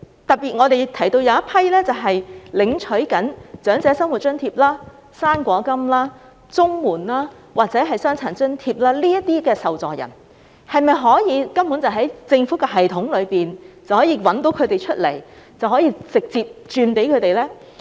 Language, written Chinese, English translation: Cantonese, 特別是那些正在領取長者生活津貼、"生果金"、綜合社會保障援助或傷殘津貼的受助人，當局是否可以透過政府的系統找出他們，然後直接轉錢給他們呢？, This is particularly so for cases involving recipients of the Old Age Living Allowance OALA fruit grant the Comprehensive Social Security Assistance CSSA and the Disability Allowance . Can the authorities identify these recipients through the systems of the Government and transfer the money to them directly?